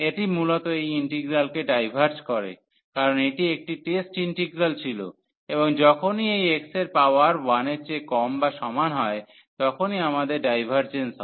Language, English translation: Bengali, So, this basically diverges this integral as this was a test integral and we have the divergence whenever this power of this x is less than or equal to 1